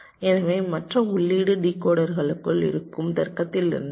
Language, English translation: Tamil, the other input will be coming from the logic inside the decoder